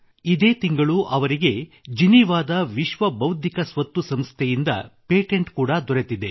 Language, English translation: Kannada, This month itself he has received patent from World Intellectual Property Organization, Geneva